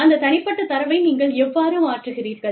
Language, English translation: Tamil, How do you transfer, that personal data